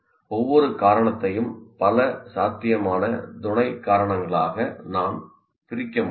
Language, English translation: Tamil, And each cause again, I can divide it into several possible causes here